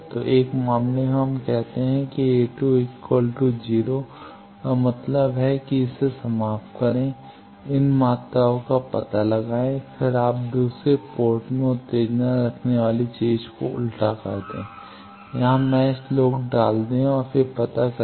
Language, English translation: Hindi, So, in 1 case we put that A 2 is equal to 0 that means, match terminate this, find out these quantities then you reverse the thing put the excitation in second port, put the match load here and then find out